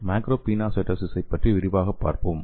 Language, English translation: Tamil, So let us see the macropinocytosis in details